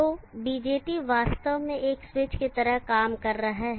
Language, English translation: Hindi, So the BJT is actually acting like a switch